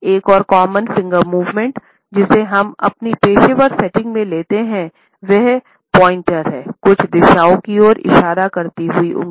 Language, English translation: Hindi, Another common finger movement, which we come across in our professional settings, is the pointer, the finger pointing at certain directions